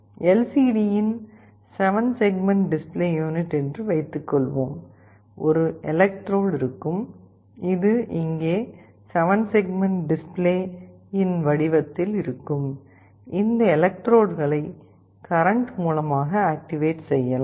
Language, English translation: Tamil, And let us assume that it is a 7 segment display unit of LCD, there will be an electrode, which will be here which will be in the shape of a 7 segment display, this individual electrodes can be applied a current and activated